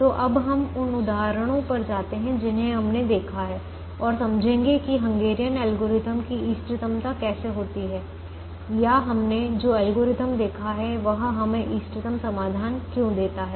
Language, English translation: Hindi, so let us now go to the examples that we have seen and explain how the optimality of the hungarian algorithm happens, or why the algorithm that we have seen gives us the optimum solution